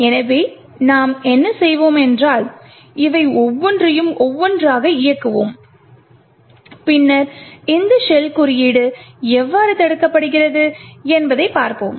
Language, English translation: Tamil, So, what we will do is that we will enable each of these one by one and then we will see how this shell code is prevented